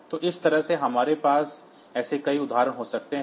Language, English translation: Hindi, So, that way we can have many such examples